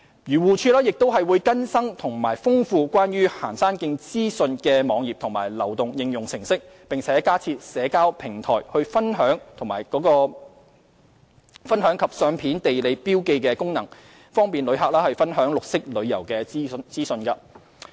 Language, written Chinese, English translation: Cantonese, 漁護署亦會更新和豐富關於行山徑資訊的網頁及流動應用程式，並加設社交平台分享及相片地理標記功能，方便旅客分享綠色旅遊資訊。, AFCD will also update and enrich web pages providing information of hiking trails and mobile applications with additional social sharing photo - taking and geographical marking functions to facilitate the sharing of green tourism information among tourists